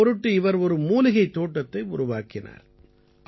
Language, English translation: Tamil, For this he went to the extent of creating a herbal garden